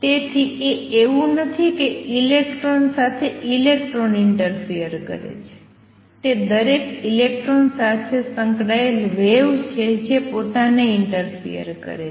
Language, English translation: Gujarati, So, it is not that an electron interface over on electron, it is wave associate with each single electron that interfere with itself